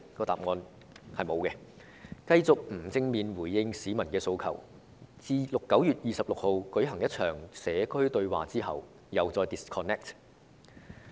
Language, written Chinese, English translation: Cantonese, 答案是沒有，他們繼續不正面回應市民的訴求，而特首在9月日舉行一場"社區對話"之後，又再與市民 disconnect。, The answer is no . As they have done continuously they do not address squarely the peoples aspirations . After holding a community dialogue on 26 September the Chief Executive again wanted to disconnect with the people